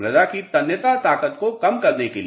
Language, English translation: Hindi, To nullify the tensile strength of the soil